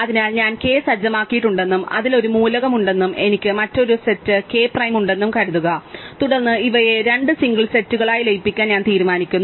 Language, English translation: Malayalam, So, supposing I had set k and an element s in it and I had another set k prime, then I decide to merge these into two single set